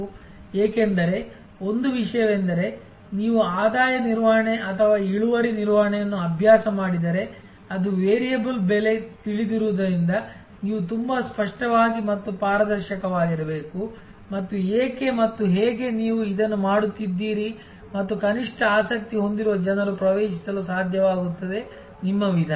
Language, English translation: Kannada, Because, one thing is that if you practice revenue management or yield management as it is know variable pricing you have to be very clear and transparent and that why and how you are doing this and at least people who are interested they should be able to access your methodology